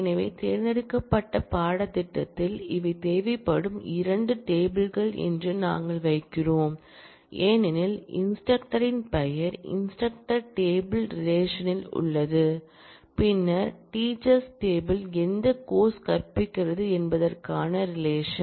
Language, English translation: Tamil, So, we put that on the select course these are the 2 tables that are required because, the name of the instructor is there in the instructor table relation and then the relationship between which instructors teach which course is in the teachers table